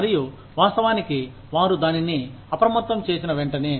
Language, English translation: Telugu, And, of course, as soon as, they were alerted to it